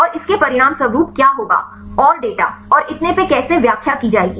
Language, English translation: Hindi, And what would be the a result and how to interpret the data and so on